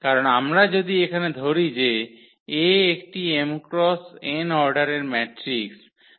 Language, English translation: Bengali, Because if we consider here that is A one matrix here of order this m cross n